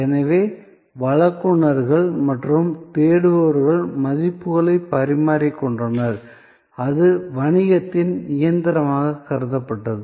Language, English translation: Tamil, So, providers and seekers exchanged values and that was considered as the engine of business